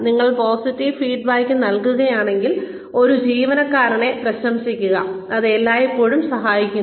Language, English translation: Malayalam, If you provide positive feedback, praise an employee, it always helps